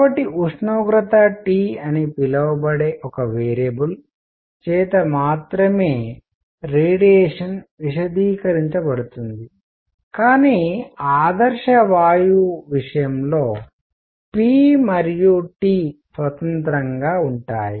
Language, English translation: Telugu, So, radiation is specified by only one variable called the temperature T, unlike; let say an ideal gas that requires p and T, independently